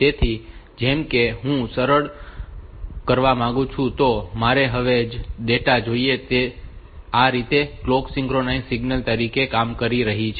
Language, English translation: Gujarati, So, like for the telling that I want to simple, I want to the same data now, so that way this clock is acting as the synchronization signal